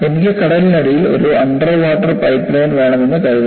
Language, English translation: Malayalam, Say, suppose I want to have a underwater pipeline below the sea